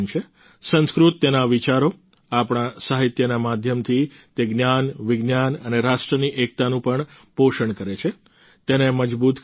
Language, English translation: Gujarati, Through its thoughts and medium of literary texts, Sanskrit helps nurture knowledge and also national unity, strengthens it